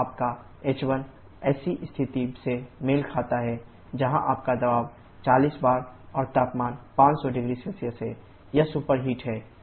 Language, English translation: Hindi, So, your h1 corresponds to a situation where your pressure is 40 bar and temperature is 500 0C, it is superheated